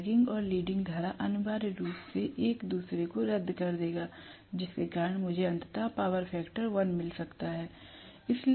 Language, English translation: Hindi, So, the leading current and the lagging current will essentially cancel out with each other because of which I might ultimately get unity power factor